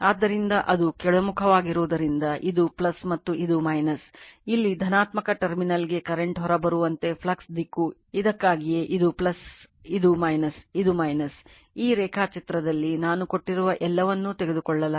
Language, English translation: Kannada, So, as it is downward means this is plus and this is minus, as if the way current comes out for the positive terminal here also the flux direction that is why this is plus this is minus that is why, that is why in the diagram that is why in this diagram, you are taken this one everything I have given to you